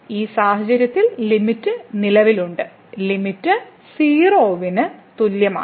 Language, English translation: Malayalam, Therefore, in this case the limit exists and the limit is equal to